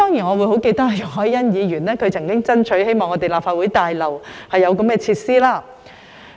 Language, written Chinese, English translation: Cantonese, 我記得容海恩議員曾經爭取在立法會大樓內提供這類設施。, I remember that Ms YUNG Hoi - yan had strived for the provision of such facilities in the Legislative Council Complex